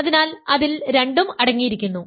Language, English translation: Malayalam, So, it contains both of them